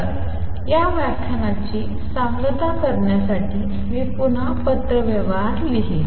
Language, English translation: Marathi, So, to conclude this lecture I will just again write the correspondence